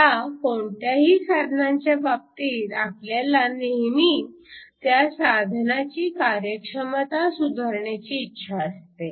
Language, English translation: Marathi, Now, in the case of any device, we always want to improve the efficiency of the device